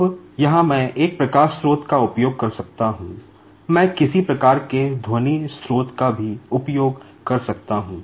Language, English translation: Hindi, Now, here, I can use a light source; I can also use some sort of sound source